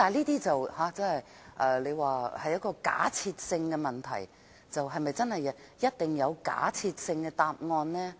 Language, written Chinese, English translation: Cantonese, 大家可能會說這是假設性的問題，是否一定會有假設性的答案？, Members may argue that this is a hypothetical question and will there definitely be a hypothetical answer?